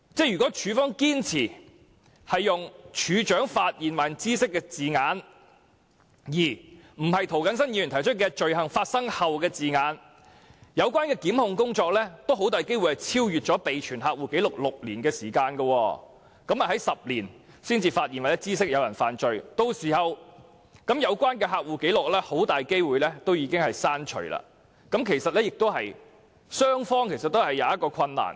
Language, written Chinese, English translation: Cantonese, 如果處方堅持"處長發現或知悉"的字眼，而非涂謹申議員提出的"罪行發生後"的字眼，有關的檢控工作很大機會超出備存客戶紀錄的6年時限，在第十年才"發現或知悉"有人犯罪，屆時有關的客戶紀錄很大機會已經被刪除，對雙方均造成困難。, If the authorities insist on using the wording is discovered by or comes to the notice of the Registrar rather than the wording after the commission of the offence as proposed by Mr James TO the prosecution will very likely exceed the six - year time limit for maintaining the customer records . If the offence is discovered by or comes to the notice of the Registrar in the 10th year the relevant customer records may very likely have been deleted thus putting both sides in difficulty